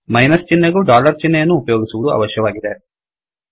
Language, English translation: Kannada, We need to use dollar symbol for minus sign also